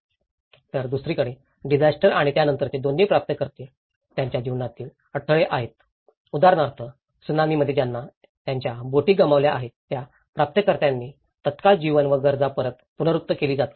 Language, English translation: Marathi, Whereas, the recipients on the other hand both the disaster and its aftermath are disruptions in the flow of their lives, for instance, the recipients who have lost their boats in the tsunami for them, the immediate life and need is getting back to the normal, is getting back to their livelihood